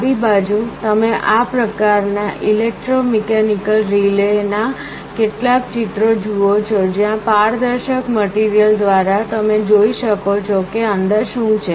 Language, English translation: Gujarati, On the left you see some pictures of this kind of electromechanical relays, where through a transparent material you can see what is inside